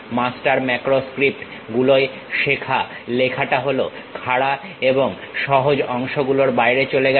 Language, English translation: Bengali, The learning curve to master macro scripts is steep and moving beyond simple parts